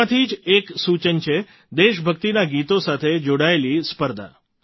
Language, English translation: Gujarati, One of these suggestions is of a competition on patriotic songs